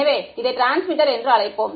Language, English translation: Tamil, So, let us call this is the transmitter